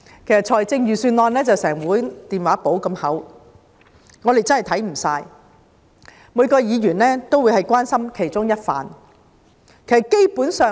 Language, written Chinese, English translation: Cantonese, 其實，預算案有一整本電話簿般厚，我們真的會看不完，每個議員只會關心其中一個範疇。, In fact the Budget is as thick as a telephone directory . We may not be able to finish reading the whole Budget and each Member may focus only on one particular area of concern